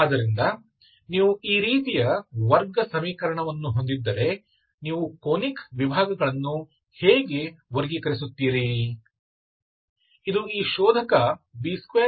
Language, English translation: Kannada, Quadratic equation is this, how do you classify, the Conic sections, okay